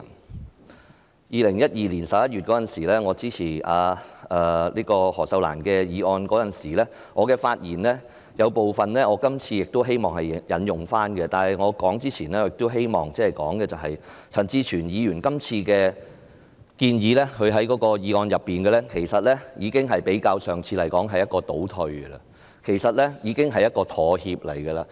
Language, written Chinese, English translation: Cantonese, 在2012年11月，我支持前議員何秀蘭的議案，我希望在今天的議案發言中，引用我當時發言的部分內容，但在我發言前，希望指出陳志全議員在這項議案所提出的建議，相較上次前議員何秀蘭的議案，是一種倒退和妥協。, In November 2012 I supported a motion proposed by a former Member Ms Cyd HO . Today I wish to cite part of my speech on that day . But before I speak I wish to point out that the proposals made in this motion by Mr CHAN Chi - chuen are retrogressive and accommodating as compared to those proposed by Ms Cyd HO last time